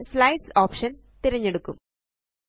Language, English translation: Malayalam, We will choose the Slides option